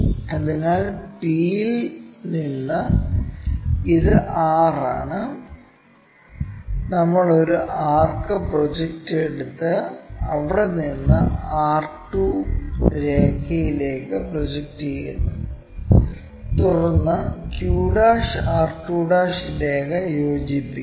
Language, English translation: Malayalam, So, from p and this is r we take a arc project it to r 2 line from there project it r2' we got it, and then join this q' r2' to represent true length of a line qr